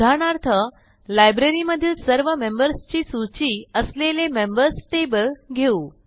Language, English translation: Marathi, For example, let us consider the Members table that lists all the members in the Library